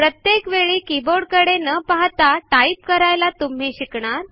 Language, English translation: Marathi, You will also learn to type, Without having to look down at the keyboard every time you type